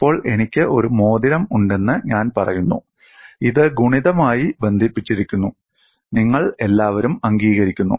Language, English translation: Malayalam, Now, I say I have a ring, this is multiply connected; you all accept